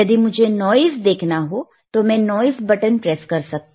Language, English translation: Hindi, If want to see noise, then I can press noise